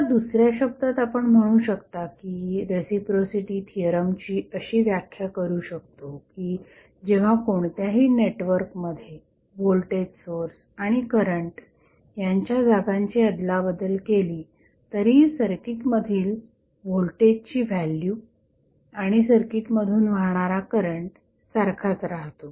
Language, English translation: Marathi, Now, in other words, you can also say that reciprocity theorem can be interpreted as when the places of voltage source and current in any network are interchanged the amount of magnitude of voltage and current flowing in the circuit remains same